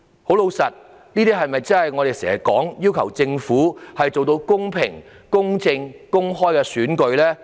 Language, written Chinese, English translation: Cantonese, 這些是否我們經常要求政府做到的公平、公正、公開選舉呢？, Will such acts facilitate the holding of a fair just and open election that we have been urging the Government?